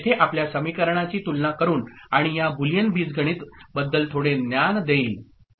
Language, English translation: Marathi, Here we got by comparing the equation, and by applying some knowledge about this Boolean algebra ok